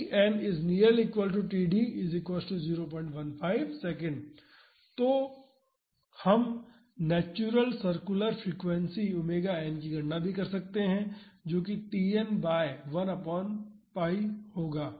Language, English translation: Hindi, So, we can calculate the natural circular frequency omega n that would be 1 pi by T n